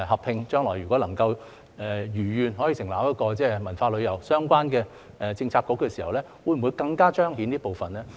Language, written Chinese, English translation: Cantonese, 如果將來能夠設立一個文化旅遊相關的政策局時，會否更加彰顯這部分呢？, If a culture and tourism - related Policy Bureau can be set up in the future will it make this part more prominent?